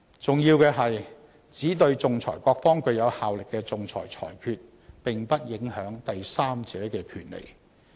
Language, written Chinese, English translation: Cantonese, 重要的是，只對仲裁各方具有效力的仲裁裁決，並不影響第三者的權利。, Importantly arbitral awards which have inter partes effect do not affect the rights of third parties